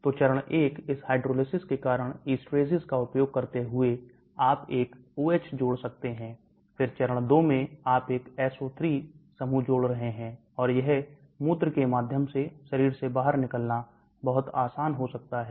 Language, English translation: Hindi, So phase 1 you may be adding OH, because of this hydrolysis using an esterases, then in the phase 2 you are adding a SO3 group and this may be very easy to get thrown out from the body maybe through urine